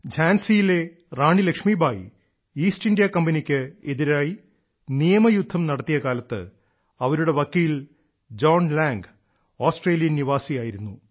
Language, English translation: Malayalam, Actually, when the Queen of Jhansi Laxmibai was fighting a legal battle against the East India Company, her lawyer was John Lang